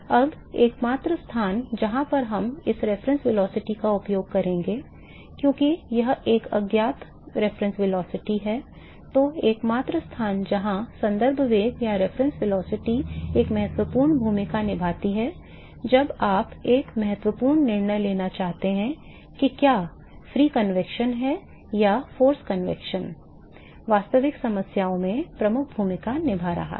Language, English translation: Hindi, So, the only place where we will be using this reference velocity, as it is an unknown reference velocity; now the only place where the reference velocity plays an important role is when you want to make an important decision whether the free convection or a force convection is playing a dominant role in a real problems